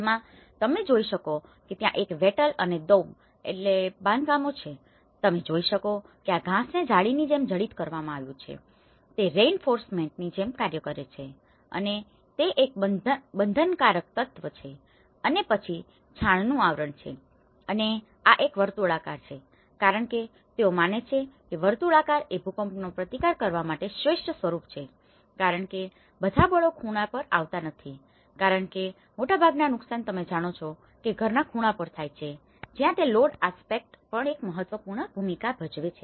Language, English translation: Gujarati, You can see that there is a wattle and daub constructions, it has you can see that these weeds the wattle has been embedded like a mesh, it acts like a reinforcement, is a binding element and then the cover with the mud and this is a circular shape because they believe that the circular shape is the best earthquake resisted form because all the forces are not coming at the corner because most of the damages which we see is at the corners of a house you know that is where the load aspects also play an important role